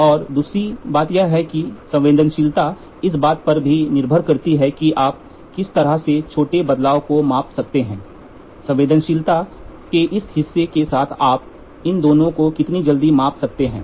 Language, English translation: Hindi, And second thing is sensitivity also depends upon one how what is the small change can you measure to how quick can you measure these two are very important with this part of sensitivity